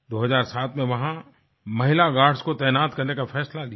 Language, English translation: Hindi, In 2007, it was decided to deploy female guards